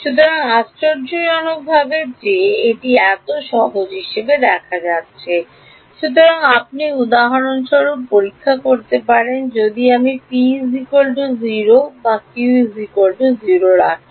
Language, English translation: Bengali, So, surprising that it turns out to be so simple; so, you can check for example, if I put T is equal to 0 is equal to q